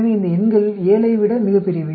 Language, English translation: Tamil, So, these numbers are much larger than the 7